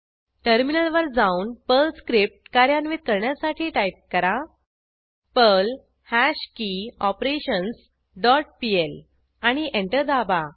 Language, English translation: Marathi, Switch to the terminal and execute the Perl script as perl hashKeyOperations dot pl and press Enter